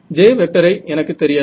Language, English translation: Tamil, So, I do not know J